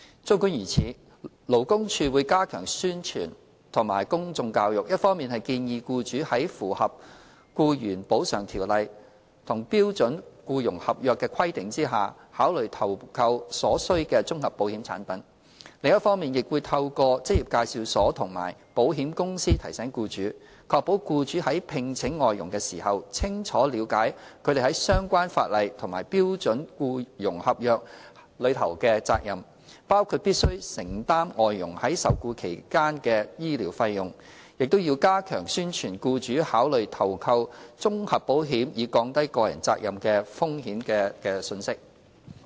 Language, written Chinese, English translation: Cantonese, 儘管如此，勞工處會加強宣傳和公眾教育，一方面建議僱主在符合《僱員補償條例》和標準僱傭合約的規定下，考慮投購所需的綜合保險產品；另一方面，亦會透過職業介紹所和保險公司提醒僱主，確保僱主在聘請外傭時，清楚了解他們在相關法例和標準僱傭合約下的責任，包括必須承擔外傭在受僱期內的醫療費用，並加強宣傳僱主考慮投購綜合保險以降低個人責任的風險的信息。, Nevertheless the Labour Department would step up promotion and publicity efforts to advise employers to consider taking out necessary comprehensive insurance products in compliance with the requirements under ECO and SEC . On the other hand the department will remind employers through employment agencies and insurance companies to ensure that they are fully aware of their responsibilities under the relevant legislation and SEC when employing FDHs including their responsibility for the medical expenses of FDHs during the employment period . The department will also reinforce the promotional message that employers should consider taking out comprehensive insurance to lower the personal liability risk